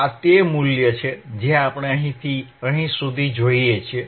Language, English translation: Gujarati, This is what we see from here to here